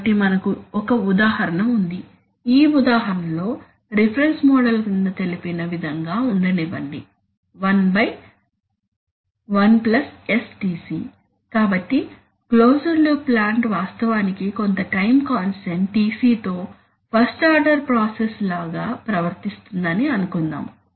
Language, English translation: Telugu, So we have an example, in this example let the reference model be one by one plus STc , so it let us suppose I want that the closed loop plant actually behaves like a first order process with some time constant Tc